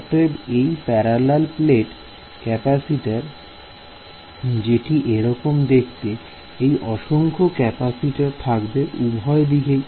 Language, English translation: Bengali, So, this parallel plate capacitor which looks something like this that you know you have a capacitor infinite capacitor in both directions